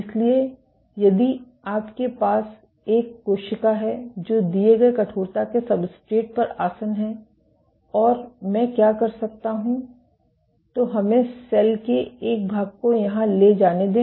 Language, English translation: Hindi, So, if you have a cell sitting on a substrate of given stiffness E and what I can do is let us take a section of the cell here